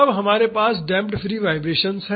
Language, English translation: Hindi, Then we have damped free vibrations